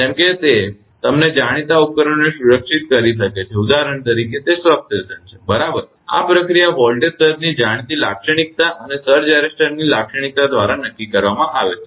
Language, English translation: Gujarati, Such that it can protect the you know equipment in the; its substation for example, say right this process is determined from the known characteristic of voltage surges and the characteristic of surge arresters